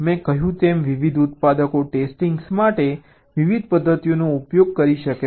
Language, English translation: Gujarati, as i said, different manufactures may use different methods for testing